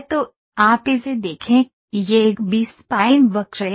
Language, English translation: Hindi, So, you look at it, you this is a B spline curve